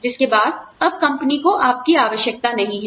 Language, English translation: Hindi, After which, you are no longer, required by the company